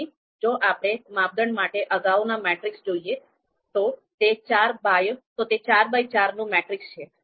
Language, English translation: Gujarati, So if we look at the previous matrix you know this was for criteria, this is four by four matrix